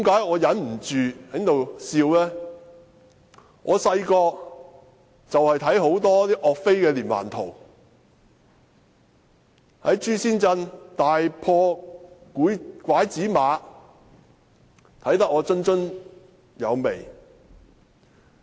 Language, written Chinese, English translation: Cantonese, 我小時候看了很多有關岳飛的連環圖，例如岳飛在朱仙鎮大破拐子馬，我可看得津津有味。, When I was a kid I read a lot of comic books about YUE Fei such as his crushing defeat on the enemys horsemen in Zhuxian town . I enjoyed reading it very much